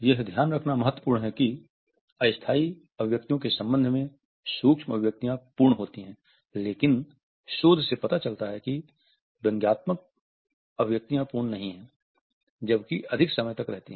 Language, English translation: Hindi, It is important to note that micro expressions are complete with respect to temporal parameters, but research shows that is squelched expressions are not although last longer